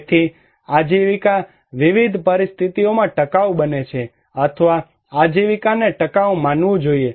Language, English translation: Gujarati, So, a livelihood becomes sustainable in different conditions or a livelihood should be considered as sustainable